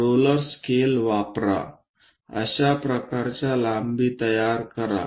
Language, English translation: Marathi, Use a roller scalar, construct such kind of lengths